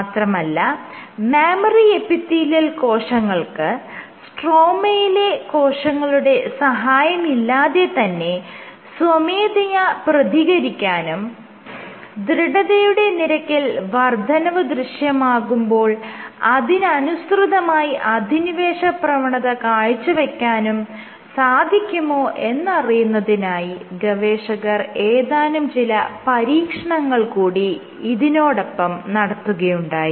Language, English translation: Malayalam, So, then they did an experiment that whether the mammary epithelial cells themselves can respond without the need for stromal cells, can they themselves respond or invade in response to increase in stiffness